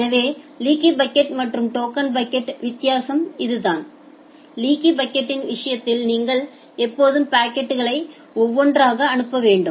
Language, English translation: Tamil, So, that is the difference from the leaky bucket and the token bucket, in case of leaky bucket you have to always send the packets one by one ok